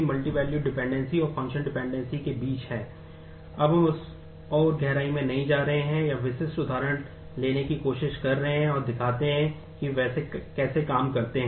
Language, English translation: Hindi, We are not going deeper into that further, or trying to take specific examples and show how they work